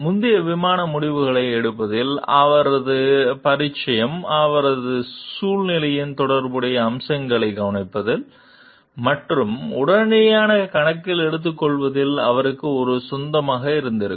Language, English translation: Tamil, His familiarity in making a host of previous flight decisions would have been an asset to him in noticing and promptly taking account of the relevant features of his situation